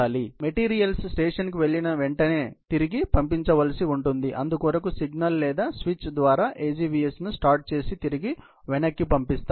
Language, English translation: Telugu, So, as soon as the material goes to the station, has to dispatch the AGVS back by sending a signal or a switch so that, the AGVS can start moving back